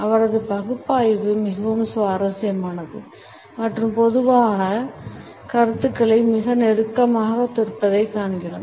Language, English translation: Tamil, We find that the analysis is pretty interesting and also very close to our common perceptions